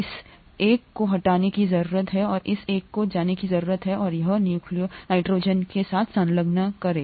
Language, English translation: Hindi, This one needs to be removed and this one needs to go and attach to nitrogen here